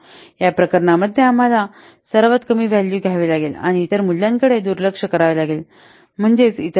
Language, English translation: Marathi, In these cases we have to take the lowest value and ignore the other values, I mean the other rates